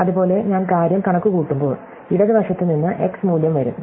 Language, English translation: Malayalam, And likewise, when I compute the thing above, there will be some value x coming from the left